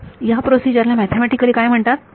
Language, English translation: Marathi, So, what is that mathematically procedure called